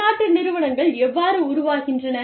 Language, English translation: Tamil, How do multinational enterprises, develop